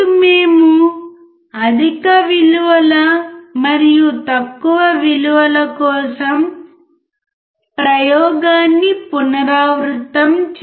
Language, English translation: Telugu, Then we can repeat the experiment for higher values and lower values